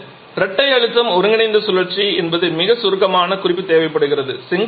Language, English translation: Tamil, Now the dual pressure combined cycle is something that requires a very brief mention